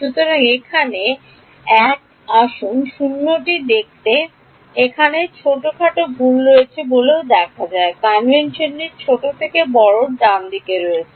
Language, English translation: Bengali, So, here is 1’s let us see what is 0 looks like there is small mistake over here also the convention is from smaller to larger right